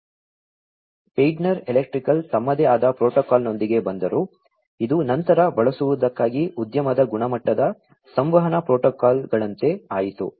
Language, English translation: Kannada, So, Schneider electric came up with their own protocol, which later became sort of like an industry standard communication protocol for being used